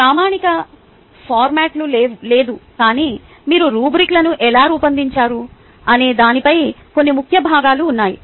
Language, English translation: Telugu, there is no standard format, but there are some key components regarding how would you design a rubrics